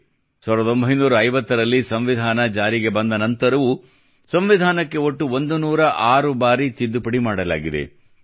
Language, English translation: Kannada, Even after the Constitution came into force in 1950, till this day, a total of 106 Amendments have been carried out in the Constitution